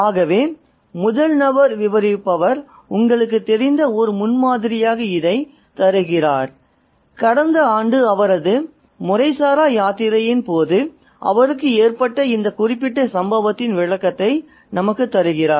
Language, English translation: Tamil, So, this is what the first person narrative offers as a premise to, you know, kind of give us a description of that particular incident which happened to him during his informal pilgrimage last year